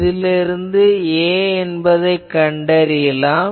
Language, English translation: Tamil, So, from there we have so that means A we know